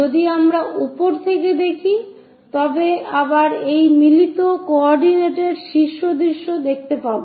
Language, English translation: Bengali, If we are looking from top, again that follows matched up coordinates top view